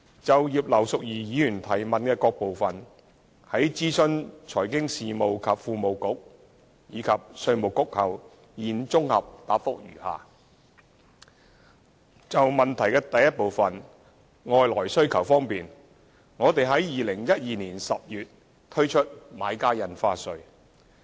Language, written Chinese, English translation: Cantonese, 就葉劉淑儀議員質詢的各部分，在諮詢財經事務及庫務局和稅務局後，現綜合答覆如下：一外來需求方面，我們在2012年10月推出買家印花稅。, Having consulted the Financial Services and the Treasury Bureau and the Inland Revenue Department IRD I set out my consolidated reply to various parts of the question raised by Mrs Regina IP as follows 1 Regarding external demand the Government introduced the Buyers Stamp Duty BSD in October 2012